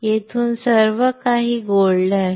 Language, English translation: Marathi, From here where everything is gold